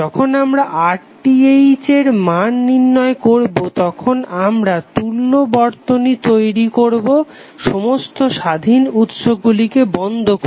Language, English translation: Bengali, So when we calculate the value of RTh we will create the equivalent circuit by switching off the independent sources